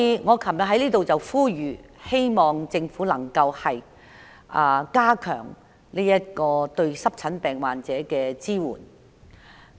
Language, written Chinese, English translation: Cantonese, 我昨天呼籲政府加強對濕疹病患者的支援。, Yesterday I appealed to the Government to strengthen the support for patients with eczema